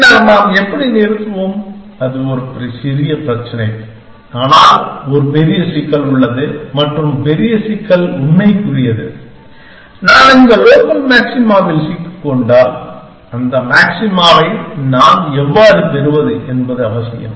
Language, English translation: Tamil, Then how do we stop, that is one small problem, but there is a bigger problem and the bigger problem pertains the fact, that if I am stuck at this local maxima, how do I get to that maxima essentially